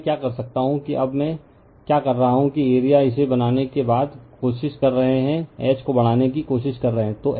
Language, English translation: Hindi, Now, what you can do is now what else I am do is that you are you are trying after making this, we are trying to increase the H right